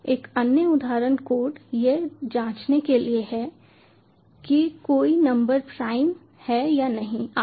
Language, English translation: Hindi, another example code is to check whether a number is prime or not and so on